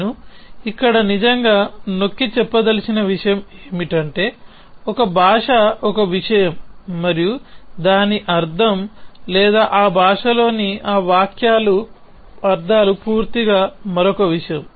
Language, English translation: Telugu, So, the point I want to really emphasis here is that a language is one thing and what it means or what is the semantics of those sentences in that language is totally another thing